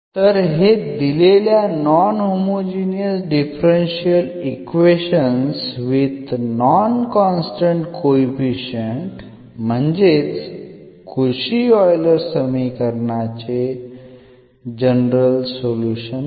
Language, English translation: Marathi, So, this serves as a general solution of the given non homogeneous equation with non constant coefficients or the Cauchy Euler equation